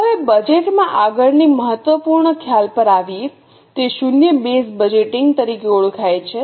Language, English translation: Gujarati, Now coming to the next important concept in budgeting that is known as zero base budgeting